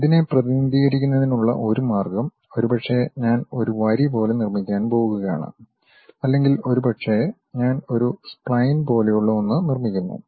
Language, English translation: Malayalam, One way of representing this one is maybe, I will be just going to construct like a line or perhaps, I just construct something like a spline